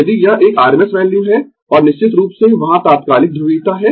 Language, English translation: Hindi, If it is a rms value, and of course instantaneous polarity is there